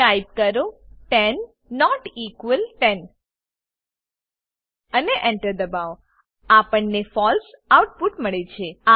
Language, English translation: Gujarati, Type 10 not equal 10 And Press Enter We get the output as false